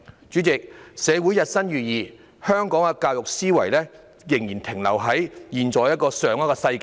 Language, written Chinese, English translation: Cantonese, 主席，社會日新月異，但香港的教育思維仍然停留在上一個世紀。, President while society is ever - changing Hong Kongs notion of education is still stuck in the last century